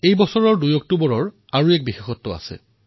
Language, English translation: Assamese, The 2nd of October, this year, has a special significance